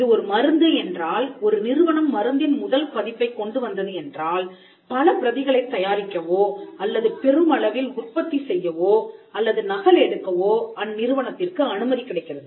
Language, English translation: Tamil, If it is a pharmaceutical drug the fact that the company came up with the first version of the drug allows it to make or mass produce or duplicate multiple copies